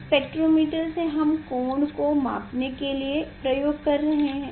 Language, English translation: Hindi, Spectrometer we are using for measuring the angle